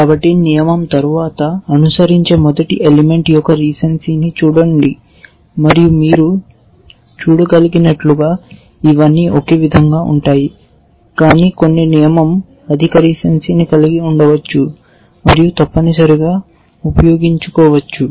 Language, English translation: Telugu, So, the first element which follows after the rule, look at the recency of that and as you can see all these are same, but some of the rule may have higher recency and use that essentially